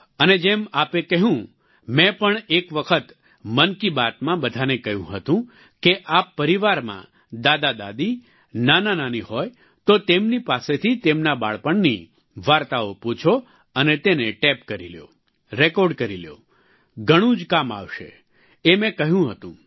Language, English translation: Gujarati, And as you said, once in Mann Ki Baat I too had asked you all that if you have grandfathergrandmother, maternal grandfathergrandmother in your family, ask them of stories of their childhood and tape them, record them, it will be very useful, I had said